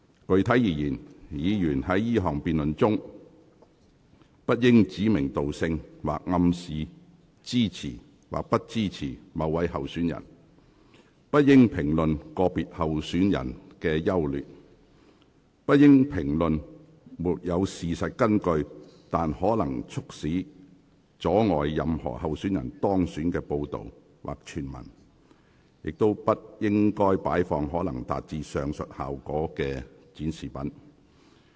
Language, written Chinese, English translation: Cantonese, 具體而言，議員在這項辯論中不應指名道姓，或暗示支持或不支持某位候選人；不應評論個別候選人的優劣；不應評論沒有事實根據但可能會促使或阻礙任何候選人當選的報道或傳聞；以及不應擺放可能會達致上述效果的展示品。, Specifically during the debate Members should not name names or imply that they support or not support any candidates; they should not comment on the merits or demerits of individual candidates; they should not comment on reports or hearsays that are unsubstantiated but may cause or obstruct the election of any candidates; and they should not display any objects that may achieve the aforesaid effect